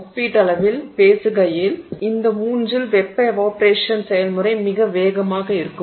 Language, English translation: Tamil, In these three if you see relatively speaking the thermal evaporation process is very fast